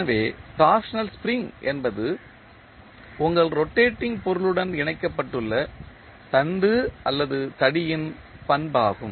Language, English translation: Tamil, So, torsional spring is the property of the shaft or the rod which is connected to your rotating body